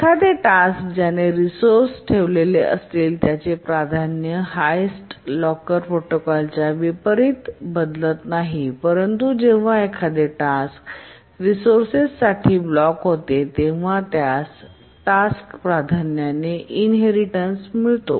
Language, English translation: Marathi, A task that has holding a resource does not change its priority unlike the highest locker protocol, but only when a task blocks for a resource it inherits the priority of the task